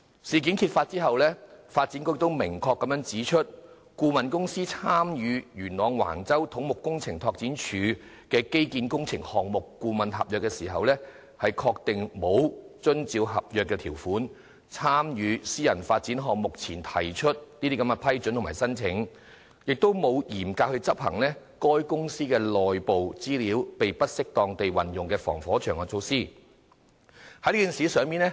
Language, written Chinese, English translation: Cantonese, 事件揭發後，發展局也明確指出，相關顧問公司參與由土木工程拓展署批出的元朗橫洲基建工程項目顧問合約時，確實沒有遵照合約條款，在參與相關私人發展項目前向政府提出申請並獲得批准，也沒有嚴格執行該公司為免內部資料被不適當地運用而制訂的防火牆措施。, Upon the exposure of the incident the Development Bureau pointed out unequivocally that the consultant under the consultancy agreement on Wang Chau infrastructural works with the Civil Engineering Development Department failed to comply with the terms of agreement in obtaining prior approval for undertaking the relevant private development project and did not follow strictly the firewall measures formulated for preventing improper use of internal information of the company